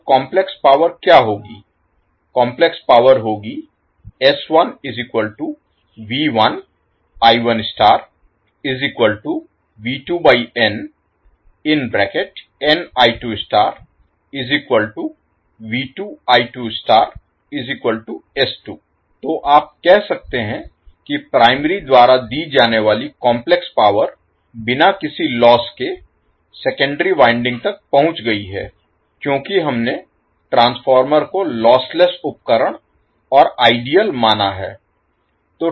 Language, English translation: Hindi, So, what you can say that complex power supplied by the primary is delivered to the secondary winding without any loss because we have considered transformer as a lossless equipment and ideal